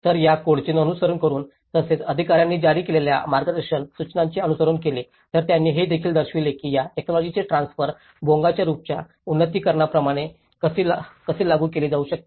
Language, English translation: Marathi, So, following these codes as well as the guidelines which has been issued by the authorities, so they also demonstrated that how the transfer of this technology can be implemented like the upgradation of the Bonga roof